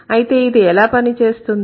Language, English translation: Telugu, So then how does it work